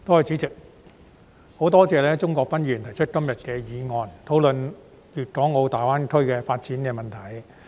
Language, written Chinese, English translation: Cantonese, 代理主席，十分多謝鍾國斌議員提出今天的議案，討論粵港澳大灣區的發展問題。, Deputy President I thank Mr CHUNG Kwok - pan so much for proposing todays motion for the discussion of the development of the Guangdong - Hong Kong - Macao Greater Bay Area GBA